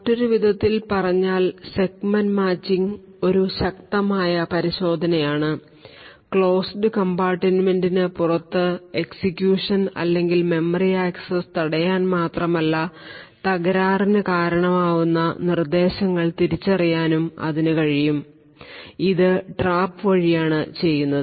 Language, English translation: Malayalam, In other words the Segment Matching is a strong checking, it is not only able to prevent execution or memory accesses outside the closed compartment that is defined but it is also able to identify the instruction which is causing the fault, so this is done via the trap